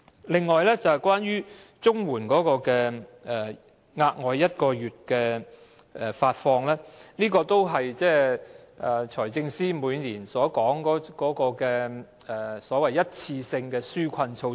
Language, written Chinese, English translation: Cantonese, 另外，關於發放額外1個月綜援金，這是財政司司長每年所說的一次性紓困措施。, Besides concerning the provision of one additional month of CSSA payment it is a one - off relief measure as referred to by the Financial Secretary every year